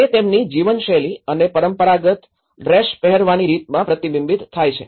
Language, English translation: Gujarati, And also it is reflected in terms of their wearing a traditional dress and their living patterns